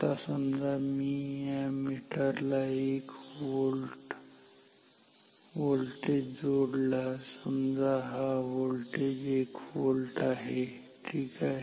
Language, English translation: Marathi, Now, if I apply a voltage across this meter which is say V equals say this V is equal to 1 volt ok